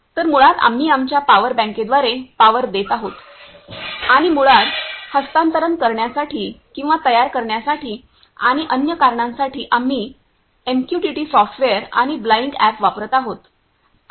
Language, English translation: Marathi, So, basically we are powering through our a power bank and to basically transfer or to build and for other purposes, we are using MQTT softwares and Blynk app